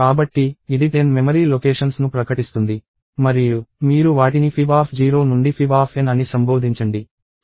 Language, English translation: Telugu, So, this will declare 10 memory locations and you can address them as fib of 0 to fib of n